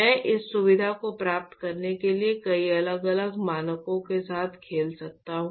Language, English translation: Hindi, I can actually play with many different parameters in order to achieve the same feature that I want to have